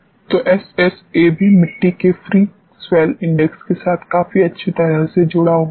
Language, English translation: Hindi, So, SSA also gets correlated quite well with free soil index of the soil